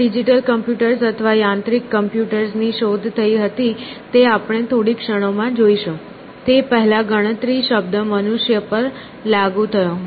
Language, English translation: Gujarati, Before our computers, digital computers, or mechanical computers that we will see in the moment were invented, but the word computation was essentially applied to human beings